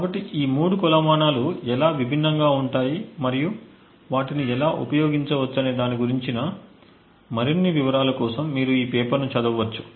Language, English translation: Telugu, So, you could actually go through the paper for more details about how these three metrics differ and how they can be used